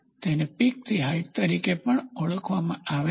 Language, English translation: Gujarati, So, it is also referred as peak to valley height